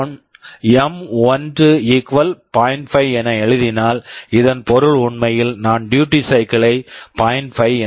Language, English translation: Tamil, 5, this means actually we are writing the duty cycle 0